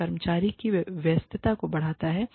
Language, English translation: Hindi, It enhances, employee engagement